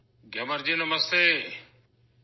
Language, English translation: Urdu, Gyamar ji, Namaste